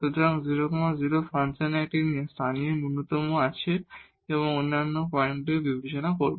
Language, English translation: Bengali, So, 0 0, the function has a local minimum and now we will consider the other points